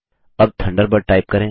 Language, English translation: Hindi, Now type Thunderbird